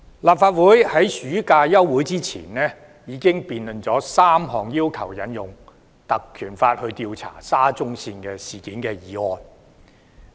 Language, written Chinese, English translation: Cantonese, 立法會在暑期休會前已經辯論了3項要求引用《立法會條例》調查沙中線事件的議案。, Before the summer recess the Legislative Council held debates on three motions requesting to invoke the Legislative Council Ordinance to probe into the SCL incident